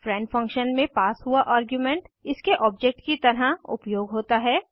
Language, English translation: Hindi, The argument passed in the friend function is used as its object